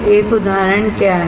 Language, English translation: Hindi, What is an example